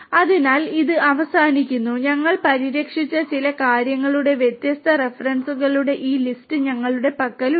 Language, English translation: Malayalam, So, with this we come to an end and we have this list of different references of certain things that we have covered